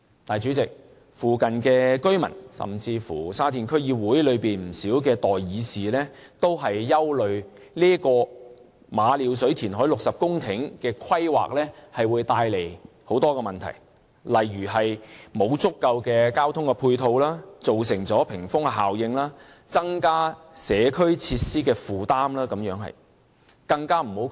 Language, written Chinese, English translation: Cantonese, 但是，主席，附近居民，甚至是沙田區議會內不少代議士均擔心，馬料水填海60公頃的規劃會帶來很多問題，例如沒有足夠的交通配套、造成屏風效應、增加社區設施的負擔等。, Nonetheless Chairman the residents nearby and even not a few Sha Tin District Council Members are worried that planning on the reclamation of 60 hectares of land at Ma Liu Shui will bring about a lot of problems such as a lack of transport supporting facilities creating the wall effect and adding burden to community facilities